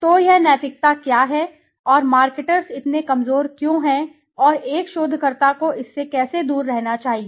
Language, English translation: Hindi, So what is this ethics all about and why are marketers so vulnerable and how should one researcher stay away from it